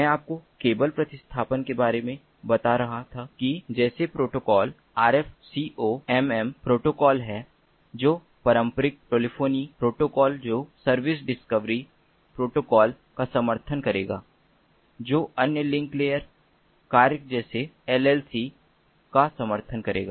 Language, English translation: Hindi, there are protocols such as rf, comm protocols, which will support traditional telephony protocols that will support service discovery protocols that will support other link layer functionalities such as llc